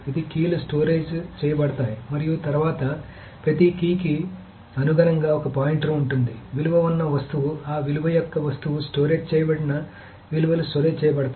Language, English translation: Telugu, Sometimes it is the keys are stored and then corresponding to each key there is a pointer and there is the values are stored to where the object that the value, the object of that value is stored